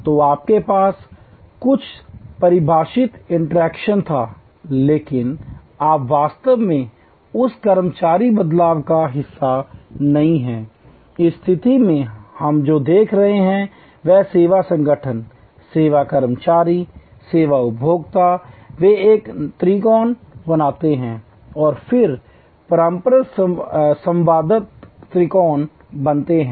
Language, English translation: Hindi, So, you had some define interaction, but you are not actually part of that employee shift, in this situation what we are looking at is that service organization, service employees, service consumers, they form a triangle and then interactive triangle